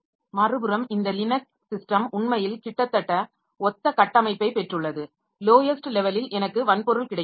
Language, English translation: Tamil, On the other hand, this Linux system, so they actually have got almost similar structure at the lowest level we have got the hardware on top of that we have got device drivers